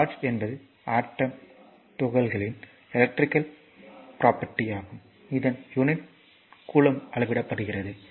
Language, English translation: Tamil, So, therefore, charge is an electrical property of the atomic particles of which matter consists measured in coulomb